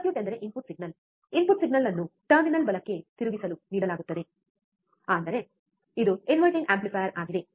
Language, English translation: Kannada, The circuit is that the input signal, the input signal is given to inverting terminal right; that means, it is an inverting amplifier